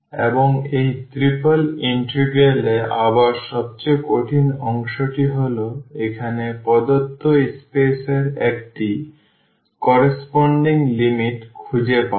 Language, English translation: Bengali, And, the most difficult part again in this triple integral is finding the limits corresponding to the given space here